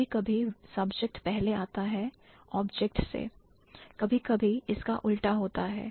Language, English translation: Hindi, So, sometimes the subject precedes the object, sometimes the other way around also happens